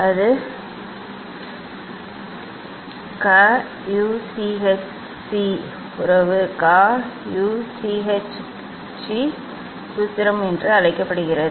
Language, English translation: Tamil, that is called Cauchy relation Cauchy formula